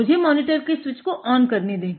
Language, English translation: Hindi, So, let me switch on the monitor